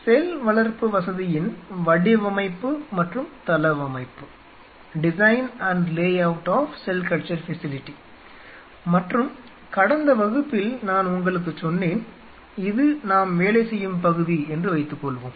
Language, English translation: Tamil, Design and layout of cell culture facility, and in the last class I told you let us assume that you know, this is our working area, something like this